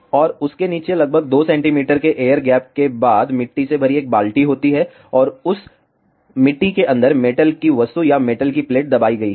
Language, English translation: Hindi, And below that after the air gap of around 2 centimeters there is a bucket filled with soil and inside that soil a metal object or metal plate is buried